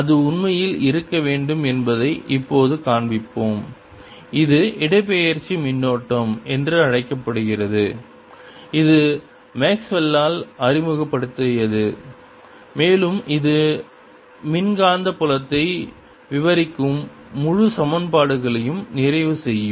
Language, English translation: Tamil, we will now show that it should indeed exist and it is known as displacement current and it was introduced by maxwell, and that will complete the entire set of equations describing electromagnetic field